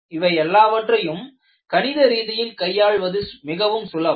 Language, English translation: Tamil, These are all easy to handle mathematically